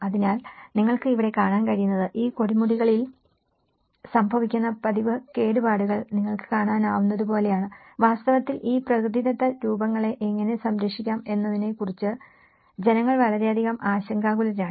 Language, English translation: Malayalam, So, what you can see here is like you can see the frequent damages, which is occurring to these pinnacles and in fact, one is also very much concerned about how to protect these natural forms